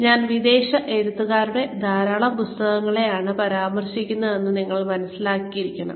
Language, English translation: Malayalam, So, you must have realized that, I am referring to a lot of books, written by foreign authors